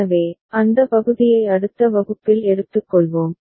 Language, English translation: Tamil, So, that part we shall take up in the next class